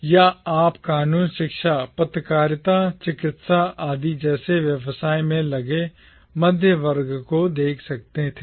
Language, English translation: Hindi, Or, you could see the middle class engaged in professions like law, education, journalism, medicine, etcetera